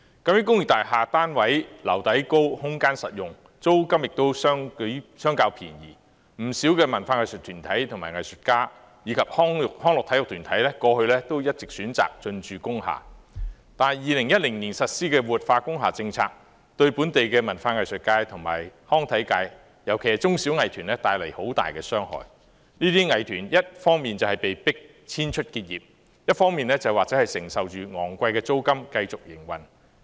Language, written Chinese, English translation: Cantonese, 那些工業大廈單位樓底高，空間實用，租金亦相較便宜，不少文化藝術團體、藝術家及康樂體育團體過去一直選擇進駐工廈，但2010年實施的活化工廈政策對本地文化藝術界及康體界帶來很大傷害；這些藝團要麼被迫遷出結業，要麼承受着昂貴的租金，繼續營運。, Characterized by high ceiling height very functional space and relatively cheap rent those industrial building units have long been the choice of many arts and culture groups artists and recreational and sports groups as a base for operation . Unfortunately the policy of revitalizing industrial buildings introduced in 2010 has caused great harm to local arts and culture community especially small and medium - sized art groups which are forced to either move out and end their operation or pay high rent to continue operation